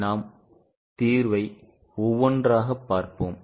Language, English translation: Tamil, Let us try to look at solution one by one